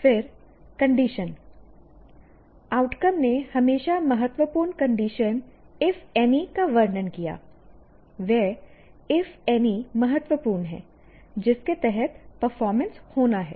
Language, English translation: Hindi, And then condition, the outcomes always describe the important conditions if any, that if any is important under which the performance is to occur